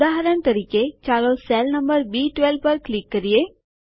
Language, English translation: Gujarati, For example lets click on cell number B12